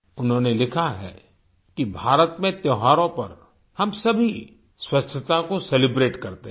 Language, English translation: Hindi, She has written "We all celebrate cleanliness during festivals in India